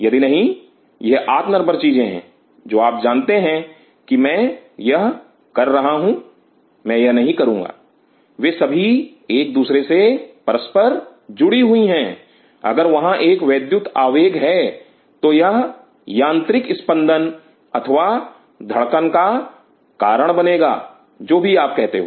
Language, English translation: Hindi, If not, these are independent thing that you know if I am doing this, I will not do this they are all inter linked with each other if there is an electrical impulse it will lead to the mechanical vibration or beating whatever you call that